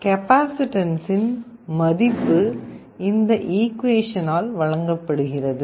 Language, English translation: Tamil, The value of the capacitance is given by this expression